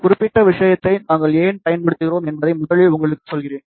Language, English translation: Tamil, Let me first tell you why we use this particular thing